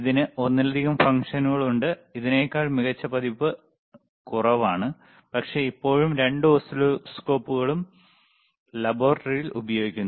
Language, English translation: Malayalam, tThis has multiple functions, fewer better version than this one, but still both the both the oscilloscopes are used in the laboratory